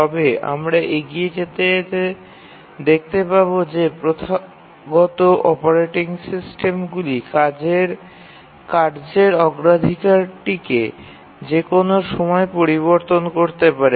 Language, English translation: Bengali, but as you will see that the traditional operating systems change the priority of tasks dynamically